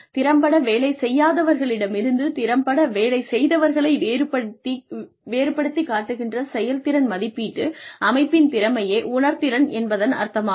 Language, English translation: Tamil, Sensitivity means, the capability of a performance appraisal system, to distinguish effective from in effective performers